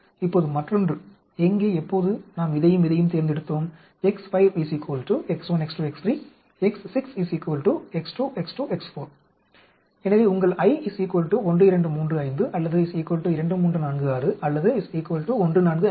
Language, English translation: Tamil, Now, the other one where when we selected this and this, X 5 is equal to X 1, X 2, X 3, X 6 is equal to X 2, X 2, X 4, so your I is equal to 1235 or equal to 2346 or equal to 1456